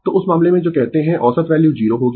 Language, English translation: Hindi, So, in that case you are what you call the average value will be 0